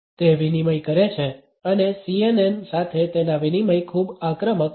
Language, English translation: Gujarati, He does a chop and that chop with the CNN is very aggressive